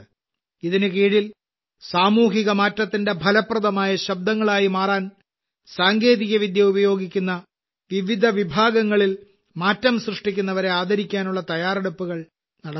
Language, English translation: Malayalam, Under this, preparations are being made to honour those change makers in different categories who are using technology to become effective voices of social change